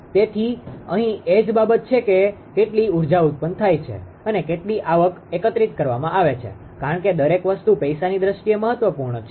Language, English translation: Gujarati, So, here also same thing how much energy is generated and how much revenue is collected because everything actually matters in terms of money